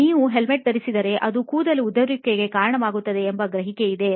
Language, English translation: Kannada, Apparently, also, there is a perception that if you wear a helmet it leads to hair loss